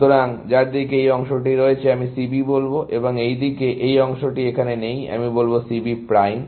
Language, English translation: Bengali, So, all towards in which, this segment is there, I will call C B, and all towards in which, this segment is not there, I will call C B prime